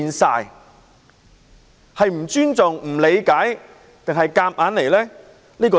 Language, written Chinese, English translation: Cantonese, 它是不尊重、不理解，還是硬來呢？, Is it being disrespectful is there a lack of understanding or is it riding roughshot?